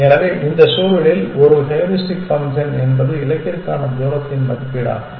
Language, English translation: Tamil, So, in this context we can say a heuristic function is an estimate of the distance to the goal essentially